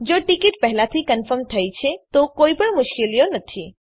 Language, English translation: Gujarati, If the ticket is already confirmed their are no difficulties